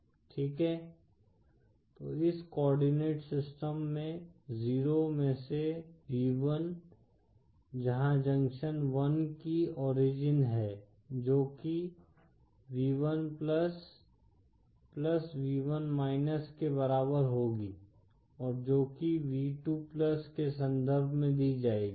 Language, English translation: Hindi, Ok so then v1 of 0 in this coordinate system, where junction 1 is the origin, that will be equal to (v1+) + & that in terms of v2+ will be given by